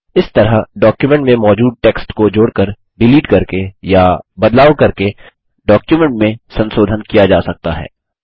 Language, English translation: Hindi, In this manner, modifications can be made to a document by adding, deleting or changing an existing text in a document